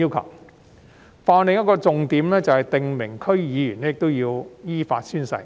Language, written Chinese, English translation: Cantonese, 《條例草案》的另一項重點，是訂明區議員必須依法宣誓。, Another key point of the Bill is the requirement for District Council DC members to take oath in accordance with the law